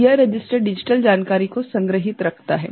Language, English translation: Hindi, So, this register stores the digital information right